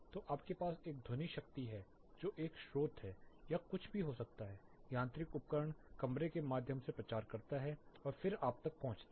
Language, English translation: Hindi, So, you have a sound power that is a source it can be anything says mechanical equipment, propagates through the room and then it reaches you